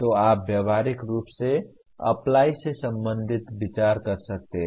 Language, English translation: Hindi, So you can practically consider as belonging to the apply